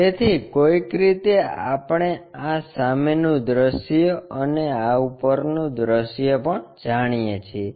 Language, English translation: Gujarati, So, somehow, we know this front view and this top view also we know